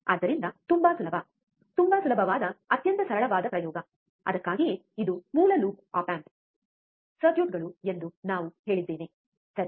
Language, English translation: Kannada, So, very easy, very easy extremely simple experiment, that is why we have said it is a these are basic op amp circuits, right